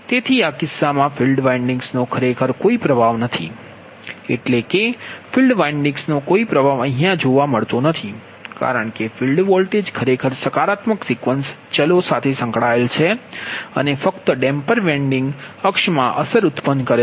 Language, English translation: Gujarati, that means field winding also has no influence, and because of field, because field voltage is associated with the positive sequence variables and only the damper winding produces an effect in the quadrature axis